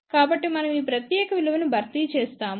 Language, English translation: Telugu, So, we substitute this particular value over